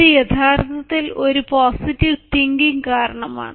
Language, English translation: Malayalam, this actually is because of a positive thinking